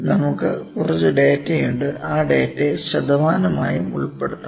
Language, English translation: Malayalam, We having some data, we can put that data into percentages as well